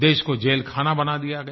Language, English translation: Hindi, The country was turned into a prison